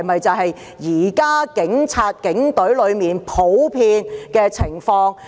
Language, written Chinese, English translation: Cantonese, 這是否現時警隊內的普遍情況？, Is this situation prevalent in the police force today?